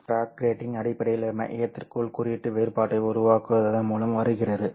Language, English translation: Tamil, Fiber bragg grating basically comes by creating the index difference inside the core